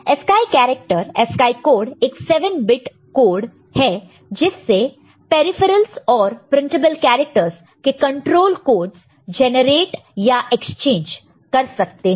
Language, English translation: Hindi, And ASCII character, ASCII code is a 7 bit code by which control codes for peripherals and printable characters can be generated and exchanged